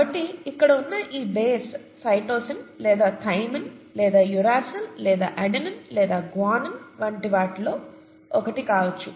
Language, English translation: Telugu, So this base here could be one of these kinds, either a cytosine or a thymine or uracil or an adenine or a guanine, okay